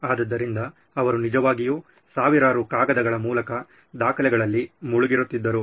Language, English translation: Kannada, So he actually went through thousands and thousands of paper documents